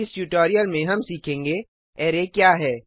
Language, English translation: Hindi, In this tutorial we will learn, What is an array